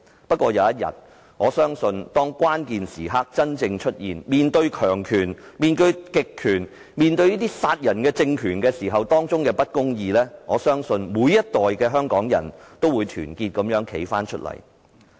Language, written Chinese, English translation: Cantonese, 不過，我相信只要有一天，當關鍵時刻真正出現，面對強權、極權、殺人的政權及種種的不公義時，每一代的香港人都會團結地站起來。, Notwithstanding that I believe one day when the critical moment comes and people have to rise against the powerful autocratic and murderous regime and various injustices Hong Kong people of different generations will surely stand up in unison